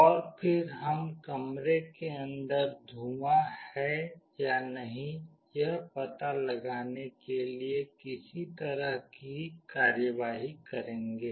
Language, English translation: Hindi, And then we will do some kind of operation to find out whether there is smoke inside the room or not